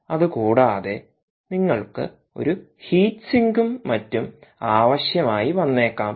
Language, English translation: Malayalam, plus, you may also need a heat sink and so on